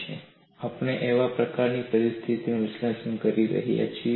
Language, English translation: Gujarati, And what is the kind of situation we are analyzing